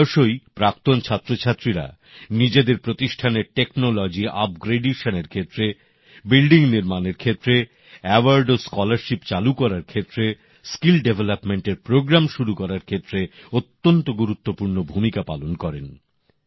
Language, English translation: Bengali, Often, alumni play a very important role in technology upgradation of their institutions, in construction of buildings, in initiating awards and scholarships and in starting programs for skill development